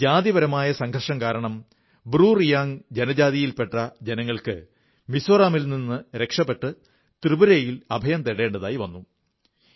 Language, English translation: Malayalam, In 1997, ethnic tension forced the BruReang tribe to leave Mizoram and take refuge in Tripura